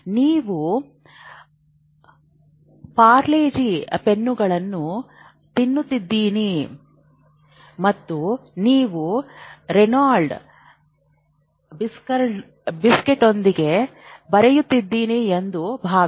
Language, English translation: Kannada, So you would be eating parley g pens and you would be writing with whatever Reynolds biscuit